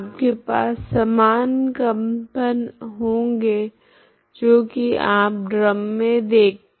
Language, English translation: Hindi, So you have a synchronized vibrations you can look for in the drum